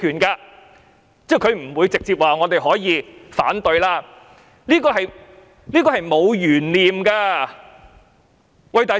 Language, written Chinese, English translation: Cantonese, 她不會直接說我們可以反對，這是沒有懸念的。, She would not directly say that Members had the right to vote against the proposal and we have no doubt about it